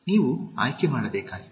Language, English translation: Kannada, You are supposed to make a choice